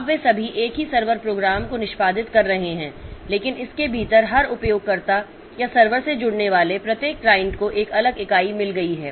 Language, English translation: Hindi, Now all of them are executing the same server program but within that every user or every client that connects to this server has got a different entity